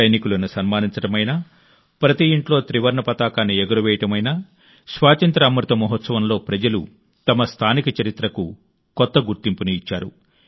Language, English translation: Telugu, Be it honouring our freedom fighters or Har Ghar Tiranga, in the Azadi Ka Amrit Mahotsav, people have lent a new identity to their local history